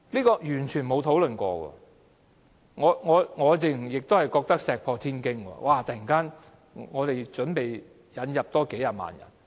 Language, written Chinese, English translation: Cantonese, 我認為這簡直是石破天驚，我們竟突然準備引入數十萬人。, I think it is groundbreaking that we plan to bring in a few hundred thousand people